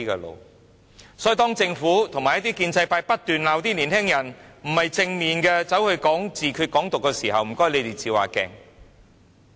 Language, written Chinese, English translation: Cantonese, 因此，當政府及一些建制派不斷責罵年輕人不正面，批評他們宣揚自決、"港獨"的時候，請你們照照鏡子。, Therefore when the Government and some members of the pro - establishment camp keep on accusing the young people of not being positive and criticizing them for promoting self - determination and Hong Kong independence you people should seriously look at yourselves in the mirror